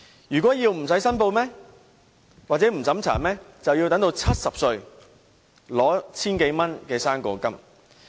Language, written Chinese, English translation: Cantonese, 如果要不經審查或不用申報，便要等到70歲，領取 1,000 多元的"生果金"。, If they do not want to undergo such means tests or do not want to make any declaration they have to wait till they reach 70 years of age to receive the fruit grant of 1,000 - odd dollars